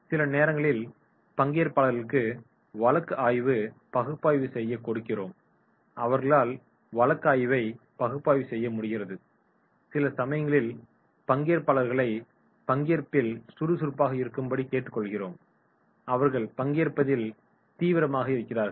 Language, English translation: Tamil, Sometimes we give them the case study analysis and they are able to do the case study analysis, sometimes we are asking them to be active in their participation and they are active in their participation